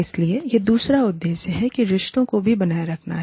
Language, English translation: Hindi, So, that is the other objective, that the relationships also, needs to be maintained